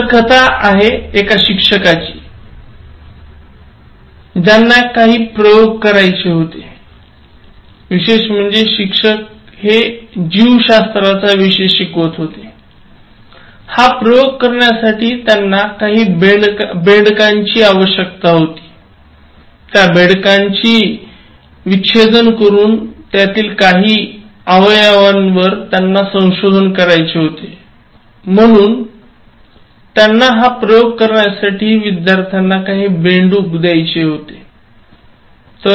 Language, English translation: Marathi, The story is about one teacher, who wanted to conduct some experiments, especially the teacher being a biology teacher, so he needed some frogs for conducting this are, dissecting them and then identifying some body parts so he wanted to give some frogs to the students for conducting that experiment